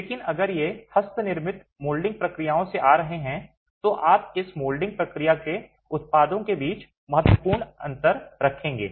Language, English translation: Hindi, But if these are coming from handmade molding processes, you will have significant differences between the products of this molding process itself